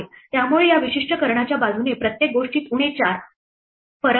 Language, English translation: Marathi, So, everything along this particular diagonal has a difference minus 4